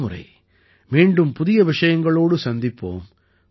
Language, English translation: Tamil, Next time we will meet again with new topics